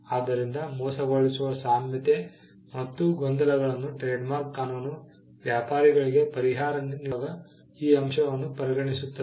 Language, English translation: Kannada, So, deceptive similarity and confusion are things that trademark law fill factor in while granting a relief to a trader